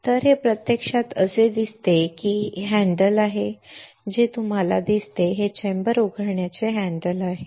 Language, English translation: Marathi, So, this is how it actually looks like this is the handle you see this one is the handle to open the chamber alright